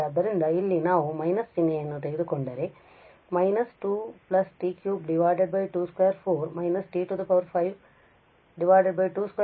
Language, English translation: Kannada, So, here if we take the minus sign out we have t by 2 we have minus t cube by 2 square 4, we have t 5 2 square 4 square and 6